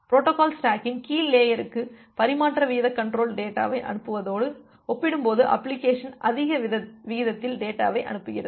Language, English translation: Tamil, So, application is sending data at a more higher rate compared to what the transmission rate control is sending the data to the lower layer of the protocol stack